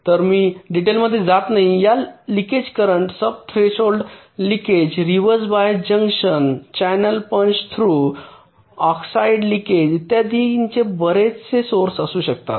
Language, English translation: Marathi, there can be several sources of these leakage currents: sub threshold leakage, reversed bias, junctions, channel punch through oxide leakage, etcetera